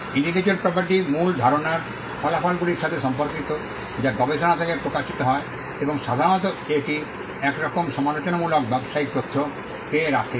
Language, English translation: Bengali, Intellectual property relates to original ideas results that emanate from research, and generally it covers some kind of critical business information